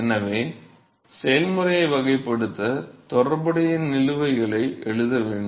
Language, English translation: Tamil, So, in order to characterize the process is we need to write the corresponding balances